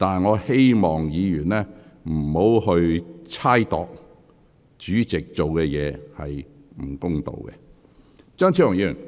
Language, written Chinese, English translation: Cantonese, 我希望議員不要猜測主席處事不公。, I hope the Member can stop accusing the President of unfair treatment based on mere speculation